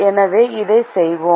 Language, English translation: Tamil, so let us do that